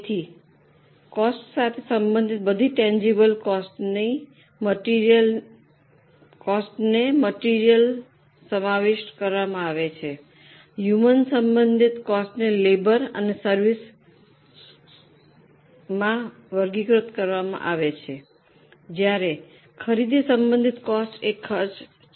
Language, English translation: Gujarati, So, all tangible cost, item related costs are included in material, human related costs are classified into labor and service purchases related costs are expenses